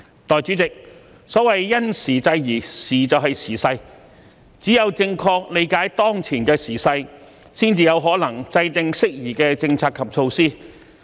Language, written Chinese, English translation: Cantonese, 代理主席，所謂"因時制宜"，"時"就是時勢，只有正確理解當前的"時勢"，才有可能制訂適宜的政策及措施。, Deputy President when I say to act appropriately having regard to the circumstances I am referring to the prevailing circumstances . Only by correctly grasping the prevailing circumstances can we formulate sound policies and measures